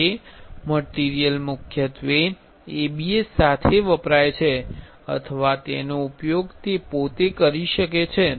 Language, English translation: Gujarati, That material is mainly used along with ABS or it can be used by with itself